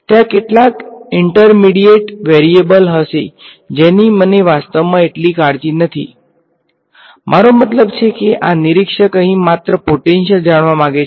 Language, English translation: Gujarati, There will be some intermediate variable which I do not actually care so much about; I mean this observer over here just wants to know potential